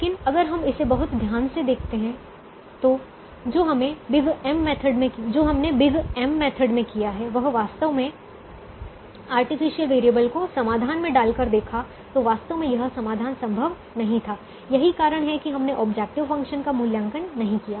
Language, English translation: Hindi, but if we look at it it very carefully, what we did in the big m method, by actually putting the artificial variables in the solution, actually speaking the solution was infeasible